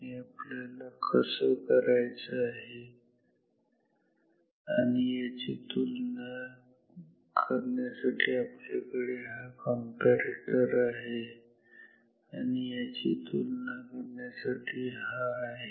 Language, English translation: Marathi, This is what we have to do and to compare with this we have this comparator and to compare with this we have this